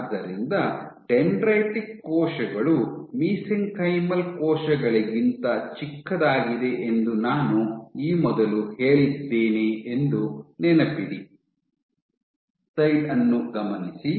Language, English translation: Kannada, So, remember that I made this statement dendritic cells are much smaller than mesenchymal cells